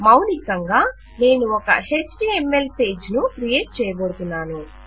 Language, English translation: Telugu, Basically,Im going to create an HTML page